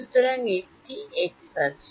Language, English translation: Bengali, So, there is an x